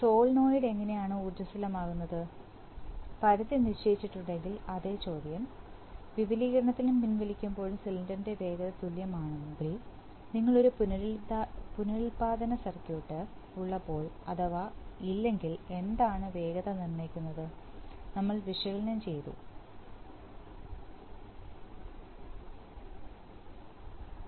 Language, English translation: Malayalam, How does the solenoid get energized if the limits which is made same question, if the speed of the cylinder going to be equal during extension and retraction, when you have a regenerative circuit if not then what decides the speeds, we have analyzed this